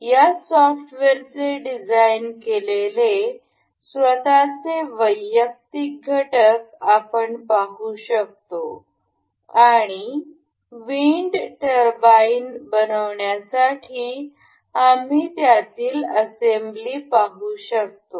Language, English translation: Marathi, We can see the individual components of this that is designed on this software itself and we can see and we can see the assembly of this to form the wind turbine